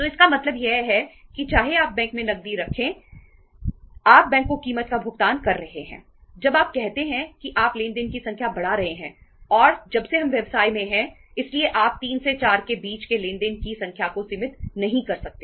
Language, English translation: Hindi, So it means even you are keeping cash in the bank you are paying the cost to the bank when you are say increasing the number of transactions and since we are in the business so you cannot restrict the number of transactions from say say between 3 to 4